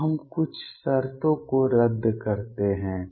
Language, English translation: Hindi, Now let us cancel certain terms